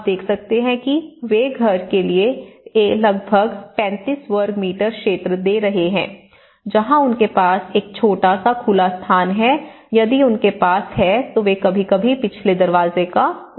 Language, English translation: Hindi, And similarly, you can see that houses they are giving about 35 square meter area of a house, where they have a small open space and sometimes using the previous doors if they have